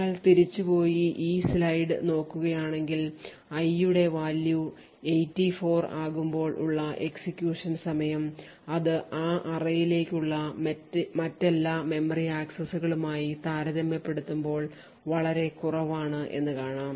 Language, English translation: Malayalam, So if you go back and look at this particular slide what we see is that when i has a value of 84 it shows a execution time which is considerably lower compared to all other memory accesses to that array